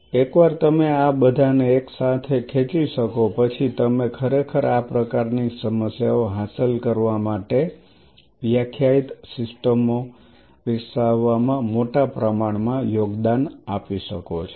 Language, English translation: Gujarati, Once you can pull all this together you really can contribute in a big way in developing defining systems to achieve these kinds of problems